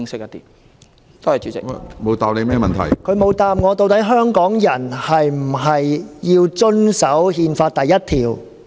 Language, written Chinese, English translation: Cantonese, 局長沒有答覆究竟香港人是否需要遵守《憲法》第一條？, The Secretary did not say whether Hong Kong people need to comply with Article 1 of the Constitution